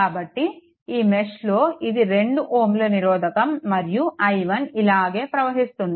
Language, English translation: Telugu, So, in this mesh, so it will be your 2 and i 1 is flowing like this 2 i 1